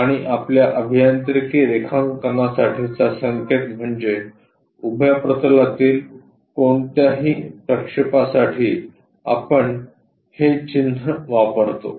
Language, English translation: Marathi, And, the notation for our engineering drawing is any projection onto vertical plane, we use this’ or’